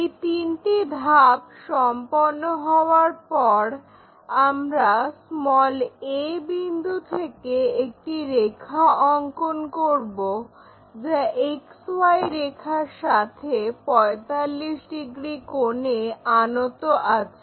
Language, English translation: Bengali, Once these three steps are done we will draw a line 45 degrees incline to XY from a point a